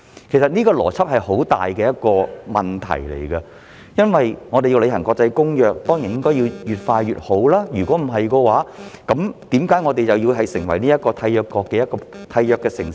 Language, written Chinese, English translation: Cantonese, 其實這個邏輯有很大問題，因為我們若要履行國際公約，當然越快越好，否則為何我們要成為其中一個締約城市呢？, This logic is highly problematic indeed because if we are to implement an international convention of course the sooner the better otherwise why should we be one of the signatory cities?